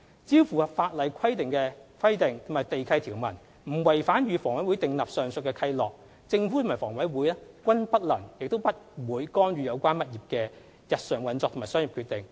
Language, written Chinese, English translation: Cantonese, 只要符合法例規定及地契條文，不違反與房委會訂立的上述契諾，政府和房委會均不能亦不會干預有關業主的日常運作和商業決定。, As long as the relevant statutory requirements and land lease conditions are complied with and the aforementioned covenants with HA are not breached the Government and HA cannot and will not interfere with the owners day - to - day operations and commercial decisions